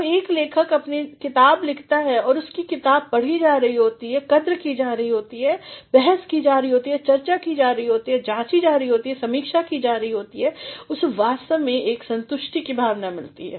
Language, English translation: Hindi, When a writer writes a book and his book is being read appreciated, debated, discussed, analyzed, reviewed, he actually feels a sense of satisfaction